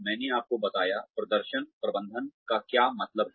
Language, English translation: Hindi, I told you, what performance management means